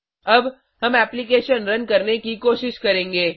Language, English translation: Hindi, Now, we shall try running the application